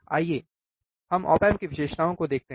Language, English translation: Hindi, Let us see the op amp characteristics